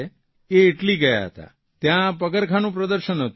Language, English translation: Gujarati, They had gone to Italy to attend a shoe fair